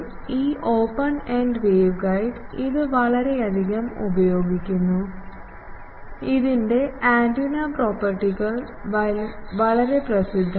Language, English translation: Malayalam, It is heavily used this open ended waveguide and it is antenna properties are very well known